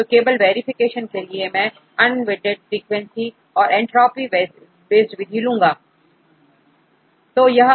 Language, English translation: Hindi, So, just for the verification I put the unweighted frequency and the entropic based method